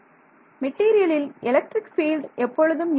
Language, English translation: Tamil, The material the electric field is always there